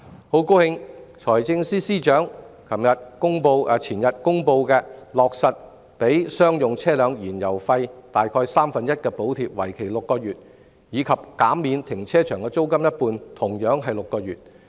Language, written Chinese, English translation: Cantonese, 我很高興財政司司長前天公布落實向商用車輛提供約三分之一的燃油費補貼，為期6個月，以及減免停車場一半租金，同樣為期6個月。, I am pleased that the Financial Secretary has taken on board those suggestions with the announcement made two days ago of a subsidy amounting to about one third of the fuel cost for commercial vehicles for six months and a rental reduction of 50 % for car parks also for six months